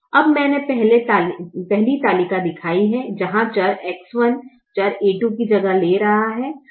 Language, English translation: Hindi, now i have shown the first table where the variable x one is replacing the variable a two